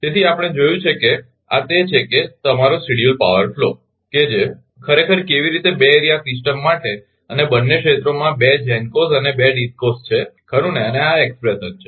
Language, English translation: Gujarati, So, we have seen that this is that your schedule power flow that how ah the actually for 2 area system and in ah both of the areas there are 2 GENCOs and 2 DISCOs right and this is expression